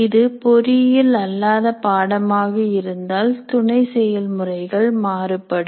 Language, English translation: Tamil, If it is non engineering program, the sub processes may differ